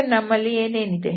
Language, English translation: Kannada, So, what we have